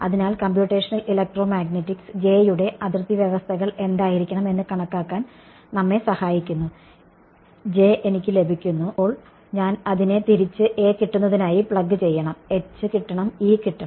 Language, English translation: Malayalam, So, computational electromagnetics helps us to calculate what should be the J be given boundary conditions, I get J then I go back plug it into this get A get H get E